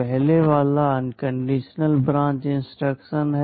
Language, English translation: Hindi, The first one is the unconditional branch instruction